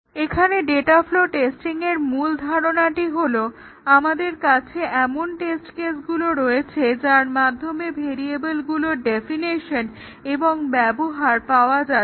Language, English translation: Bengali, Here in data flow testing, the main idea is that we have test cases such that the definition and uses of variables are covered